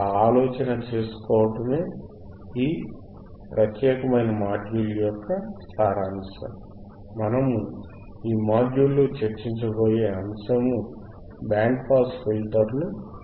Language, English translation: Telugu, tThat is the idea, that is the gist of this particular module that you have to understand, that the how to design a band pass filter